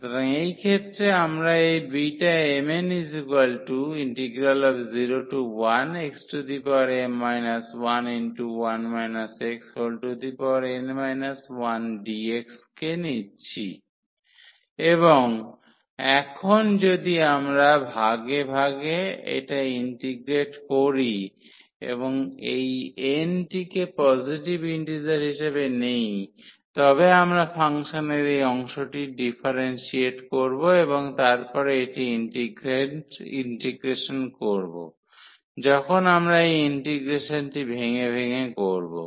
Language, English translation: Bengali, So, in this case we consider this beta m, n the given integral and now, if we integrate this by parts and taking that this n is taken as a positive integer so, we will differentiate this part of the function and then this will be for the integration when we do this integration by parts